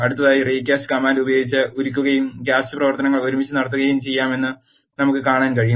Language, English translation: Malayalam, Next with this, we can see that melt and cast operations can be done together using the recast command